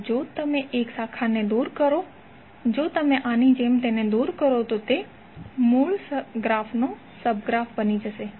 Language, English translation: Gujarati, So if you remove one branch, like this if you remove it will become sub graph of the original graph